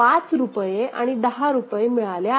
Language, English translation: Marathi, Rupees 5 and rupees 10 has been received ok